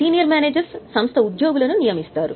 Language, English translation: Telugu, Senior managers intern appoint employees of the company